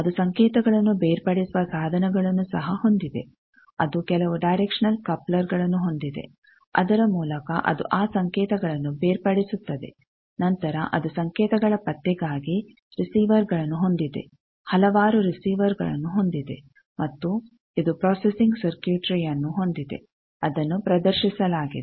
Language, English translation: Kannada, It also has signal separation devices I said that it has some directional couplers by which it can separate those signals, then it has receivers for signal detection a number of receivers and it has processing circuitry which has displayed